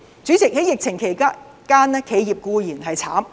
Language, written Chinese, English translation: Cantonese, 主席，在疫情期間，企業固然苦不堪言。, President during the pandemic enterprises are in dire straits